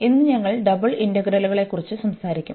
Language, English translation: Malayalam, And today, we will be talking about Double Integrals